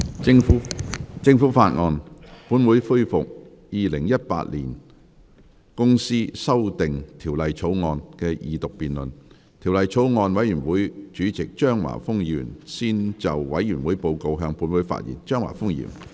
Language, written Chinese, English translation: Cantonese, 主席，我謹以《2018年公司條例草案》委員會主席的身份，向本會提交法案委員會的報告，並匯報法案委員會工作的重點。, President in my capacity as Chairman of the Bills Committee on Companies Amendment Bill 2018 I would like to present the report of the Bills Committee to the Council and report on the key areas of work of the Bills Committee